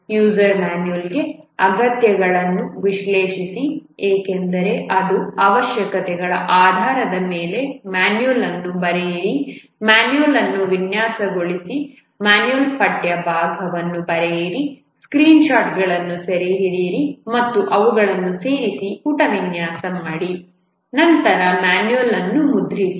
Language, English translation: Kannada, For the user manual, analyze the requirements because you have to write the manual based on the requirements, design the manual, write the text part of the manual, capture screenshots and insert them, do page layout, then print the manual